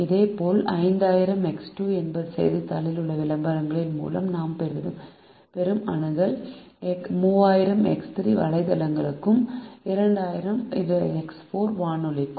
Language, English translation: Tamil, similarly, five thousand x two is the reach that we have through the advertisements in the newspaper, three thousand x three is for websites and two thousand x four is for radio